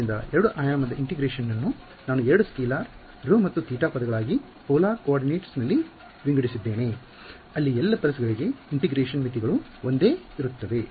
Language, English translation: Kannada, So, 2 dimensional integration I have broken it down into 2 scalar terms rho and theta in polar coordinates no the limits of integration has a same regardless of which pulse of and because have to integrate over the whole pulse